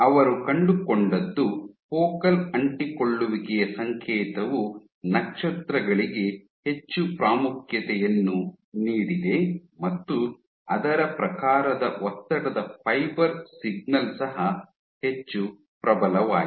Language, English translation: Kannada, What they found was focal adhesion signal was much more prominent for the stars, and accordingly the stress fiber signal was also much more potent